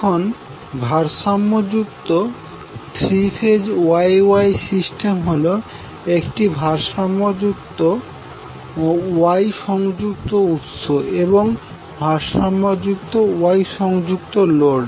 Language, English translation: Bengali, Now a balanced three phase Y Y system is a three phase system with a balance Y connected source and a balanced Y connected load